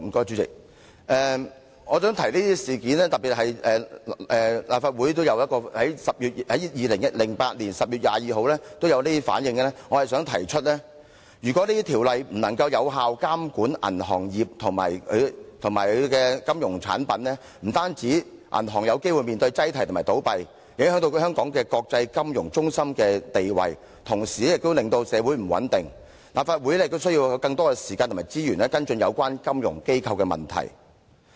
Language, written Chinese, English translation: Cantonese, 主席，我提出這些事件，特別是立法會在2008年10月22日作出的反應，是要說明如果銀行業監管條例不能有效監管銀行業及其金融產品，不單銀行有機會面對擠提和倒閉，影響香港國際金融中心的地位，同時亦會令社會不穩，因此立法會需要更多時間和資源，跟進有關金融機構的問題。, President my point in mentioning these incidents especially the response of the Legislative Council on 22 October 2008 is to illustrate that if legislation regulating banks fails to effectively monitor the banking industry and its financial products not only may banks face the possibility of runs and collapses which will affect Hong Kongs status as an international financial centre society will also be rendered unstable . Hence the Legislative Council needs to devote more time and resources to following up issues relating to financial institutions